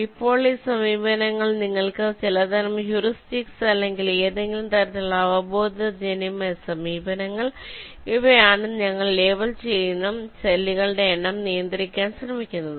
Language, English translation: Malayalam, ok now, these approaches, these are, you can some kind of heuristics or ah, some kind of means, intuitive approaches which try to restrict the number of cells that we are labeling